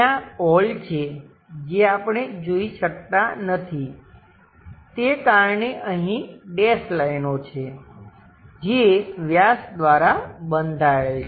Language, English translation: Gujarati, There is a circular hole which we cannot see it, so that is the reason here dash lines which will be bounded by the diameter